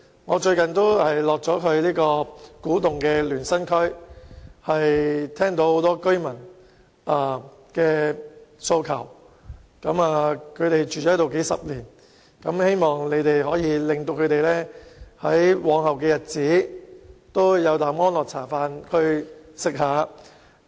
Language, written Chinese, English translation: Cantonese, 我最近到訪古洞聯生區，聆聽居民的訴求，他們居住在當地數十年，希望兩位局長可讓他們在往後的日子在那裏安心居住。, Recently I have visited Luen Sang in Kwu Tung and heeded the needs of residents there . All of them have been living in the region for decades . They wish the two Secretaries can let them stay there peacefully for the rest of their lives